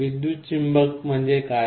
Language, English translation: Marathi, What is a electromagnet